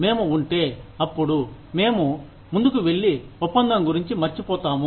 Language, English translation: Telugu, If we are, then, we go ahead, and forget about the deal